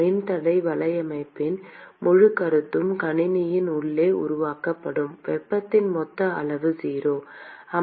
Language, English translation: Tamil, The whole concept of resistance network hinges in the fact that the total amount of heat that is generated inside the system is 0